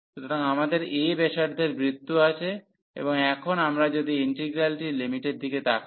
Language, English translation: Bengali, So, we have the circle of radius a and now if we look at the integral limits